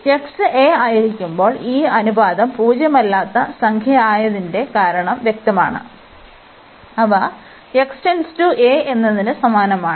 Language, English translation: Malayalam, And the reason is clear that when x goes to a, this ratio is the non zero number that means, they behave the same as x approaches to a